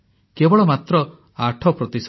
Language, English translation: Odia, Just and just 8%